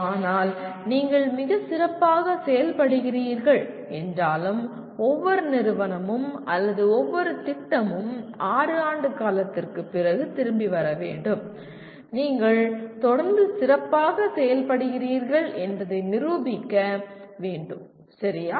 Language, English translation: Tamil, But even if you are performing extremely well, one every institute or every program has to come back after 6 years to prove that you are continuing to do well, okay